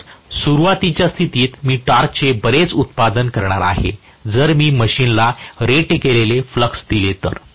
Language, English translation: Marathi, So, under starting condition I am going to have this much is the torque produced, provided I give rated flux for the machine, right